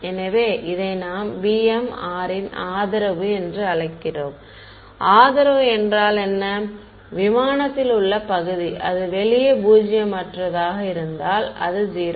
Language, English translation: Tamil, So, this is we called it the support of b m of r; support means, the region in space where it is non zero outside it is 0 ok